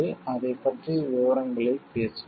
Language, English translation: Tamil, We will discuss details of it